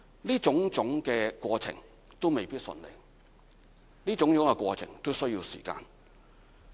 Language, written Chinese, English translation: Cantonese, 這種種過程都未必順利，都需要時間。, All these procedures may not run smoothly and they all take time to complete